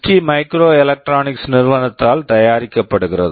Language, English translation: Tamil, This is manufactured by a company called ST microelectronics